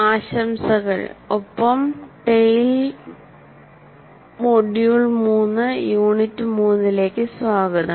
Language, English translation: Malayalam, Greetings and welcome to Tale, Module 3, Unit 3